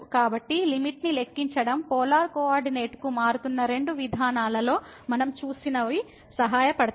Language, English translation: Telugu, So, computing the limit then what we have seen two approaches the one was changing to the polar coordinate would be helpful